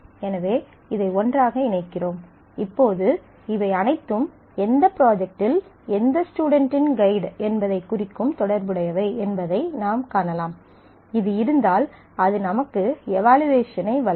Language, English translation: Tamil, So, we put this together; so, now, you can see that all of these are related representing who is the guide of which student in what project and if this exists then this gives you the evaluation